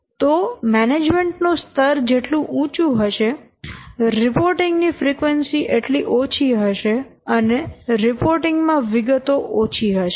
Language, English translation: Gujarati, So higher is the management, lesser is the frequency and lesser is also the detailed reports